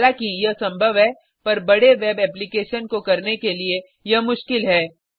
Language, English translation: Hindi, Even though this is possible, it is difficult to do for large web applications